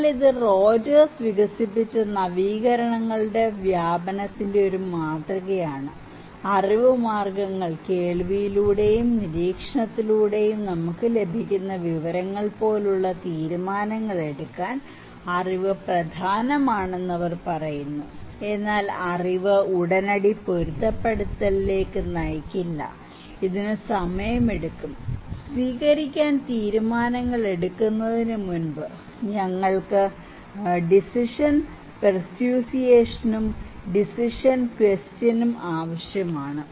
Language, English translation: Malayalam, But this is a model of diffusion of innovations developed by Rogers, they are saying that knowledge is important to make decisions like knowledge means, information which we can get through hearing and observation but knowledge immediately does not lead to adaptation; no, no, it takes time, before making adoption decisions, we need to have decision persuasions and decision question